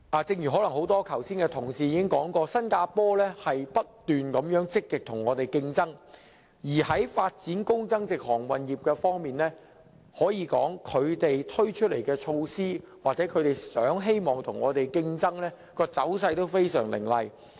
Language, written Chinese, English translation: Cantonese, 正如剛才多位同事所說，新加坡正積極與我們競爭，而在發展高增值航運業方面，他們推出的措施或希望與我們競爭的走勢都非常凌厲。, As said by many Members just now Singapore is seeking actively to compete with Hong Kong . And speaking of the development of a high value - added maritime services industry the measures introduced by them or their desire for competing with Hong Kong are very vigorous